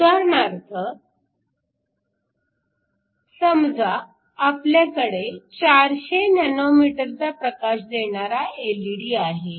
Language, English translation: Marathi, For example, if you have an LED which gives light at 400 nanometers